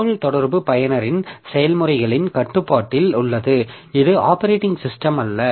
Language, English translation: Tamil, The communication is under the control of the users processes, not the operating system